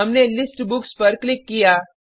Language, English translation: Hindi, We clicked on List Books